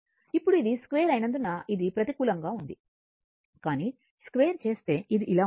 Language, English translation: Telugu, Now, because it is square this was negative, but if you square it, is it is going like this